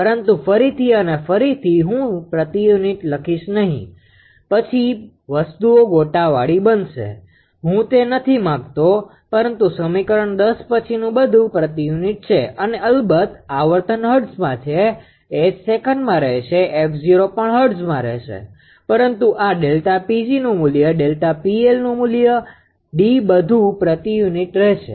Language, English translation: Gujarati, But again and again I will not write per unit then things will become clumsy; I do not want that, but equation 10 onwards, everything is in per unit and frequency of course, is in hertz, H will remain second, f 0 also will remain in hertz right, but this delta P g value delta delta P L value D all are in per unit right